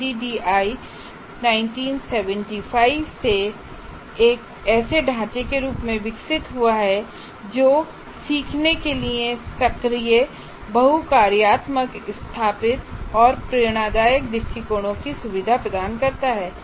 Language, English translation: Hindi, ADE evolved since 1975 into a framework that facilitates active, multifunctional, situated, and inspirational approach to learning